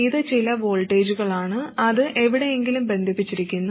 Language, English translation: Malayalam, It is some voltage, it is connected somewhere